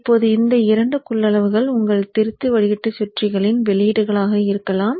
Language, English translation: Tamil, Now these two capacitances can be outputs of your rectifier filter circuits